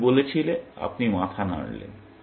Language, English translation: Bengali, You said; you nodded your head